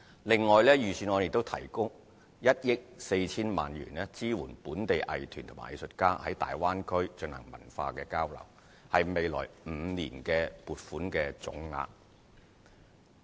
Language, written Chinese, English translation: Cantonese, 另外，財政預算案亦提供1億 4,000 萬元，支援本地藝團和藝術家在大灣區進行文化交流，是未來5年的撥款總額。, Besides the Budget has also allocated 140 million to support local arts groups and artists to conduct cultural exchanges in the Guangdong - Hong Kong - Macao Bay Area . The amount is to be used in the next five years